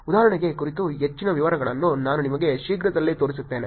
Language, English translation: Kannada, I will actually show you more details about examples also pretty soon